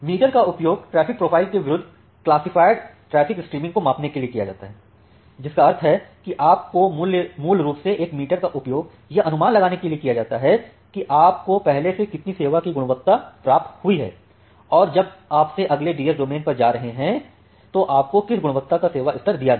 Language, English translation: Hindi, Now a meter is used to measure the classified traffic stream against the traffic profile, that means you need, a meter is basically used to estimate that how much quality of service you have already got and what is the level of quality of service that you have to give to whenever you are going to the next DS domain